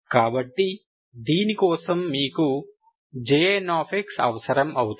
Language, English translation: Telugu, So for this you need J n